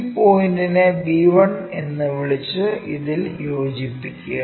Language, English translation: Malayalam, Call this point our b1 and join this one